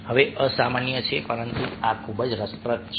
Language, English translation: Gujarati, now, this is unusual, but this is very interesting